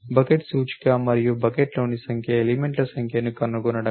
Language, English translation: Telugu, The bucket index and the number of the number elements in the bucket that is all you need to do